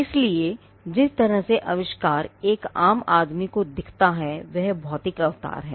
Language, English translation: Hindi, So, the way the invention looks to a layman or a layperson is the physical embodiment